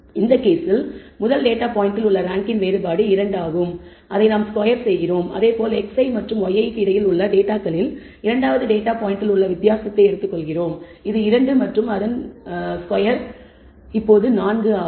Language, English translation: Tamil, So, in this case the difference in the rank for the first data point is 2 and we square it, similarly we take the difference in the second data point in the ranks between x i and y i which is 2 and square it we get 4